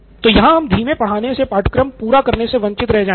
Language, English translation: Hindi, So if we actually go slow in teaching we are going to miss out on the extent of syllabus